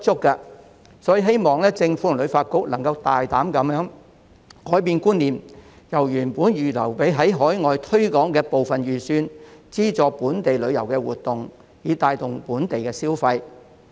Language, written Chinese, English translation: Cantonese, 因此，我希望政府及旅發局能大膽改變觀念，把原本預留給海外推廣的部分預算用於資助本地旅遊活動，以帶動本地消費。, Hence I hope that the Government and HKTB can boldly think out of the box by utilizing part of the budget originally set aside for overseas promotion to subsidize local tourism activities thereby spurring local consumption